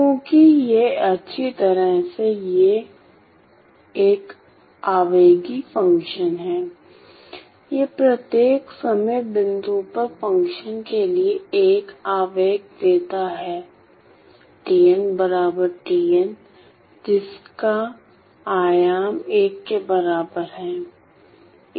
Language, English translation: Hindi, Because it has well it is an impulsive function, well it gives an impulse at each time point t equal to tn for the function with an amplitude equal to 1